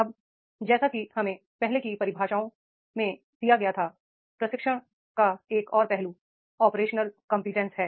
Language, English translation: Hindi, Now, as we were given the earlier definitions, one more aspect of the training is operational competence